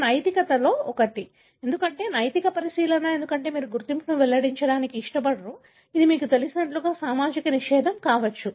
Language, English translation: Telugu, This is one of the ethics, because ethical consideration, because you do not want to reveal the identity, it may be, you know, a social taboo